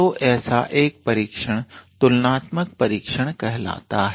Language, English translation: Hindi, So, one such test is called comparison test